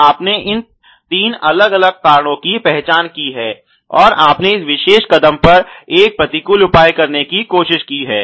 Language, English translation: Hindi, So, you have identified these three different causes and you tried to take a counter measure at this particular step